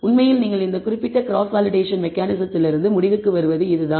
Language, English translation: Tamil, That is what you actually conclude from this particular cross validation mechanism